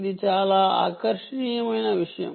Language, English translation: Telugu, so that is a very important